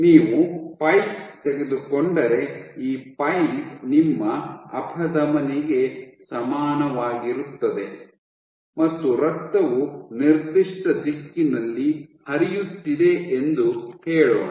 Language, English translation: Kannada, Let us say this pipe is equivalent to your artery your blood is flowing in a given direction